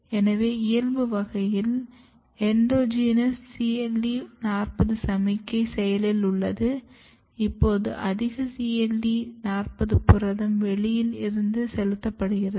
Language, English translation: Tamil, So, in wild type, there is a endogenous CLE40 signalling is active, now you are putting more CLE40 protein from exogenously